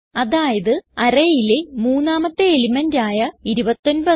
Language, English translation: Malayalam, In other words, the third element in the array i.e.29